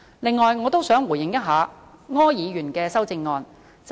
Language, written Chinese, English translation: Cantonese, 此外，我亦想回應一下柯議員的修正案。, Moreover I would like to give a response in respect of Mr ORs amendment